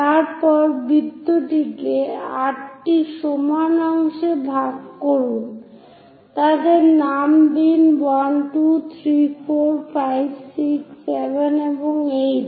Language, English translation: Bengali, Then divide the circle into 8 equal parts, number them; 1, 2, 3, 4, 5, 6, 7 and 8